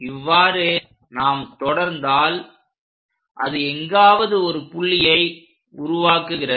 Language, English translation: Tamil, If we continue, it goes and makes a point somewhere here